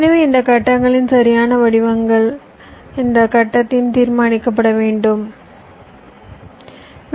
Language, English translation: Tamil, so the exact shapes of these blocks will have to be decided during this phase